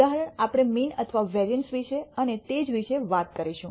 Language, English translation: Gujarati, Example we will talk about mean and variance and so on